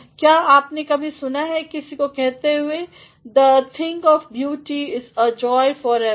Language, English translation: Hindi, Have you ever heard anyone saying the thing of beauty is a joy forever